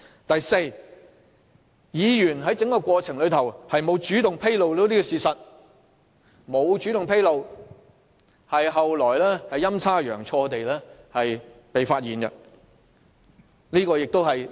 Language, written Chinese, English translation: Cantonese, 第四，該議員在整個過程中，沒有主動披露事實，只是後來陰差陽錯，事情才被揭發。, Fourth in the entire process the Member had not taken the initiative to disclose the facts and subsequently the matter was somehow uncovered